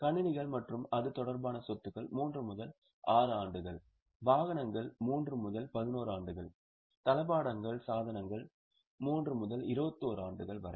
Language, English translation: Tamil, Computers and IT related assets is 3 to 6 years, vehicles 3 to 11 years, furniture fixtures 3 to 21 years